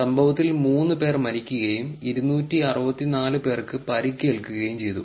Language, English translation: Malayalam, 3 people were killed and 264 were injured in the incident